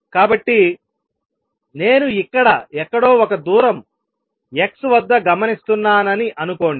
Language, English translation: Telugu, This is very simple this, if I am observing something at x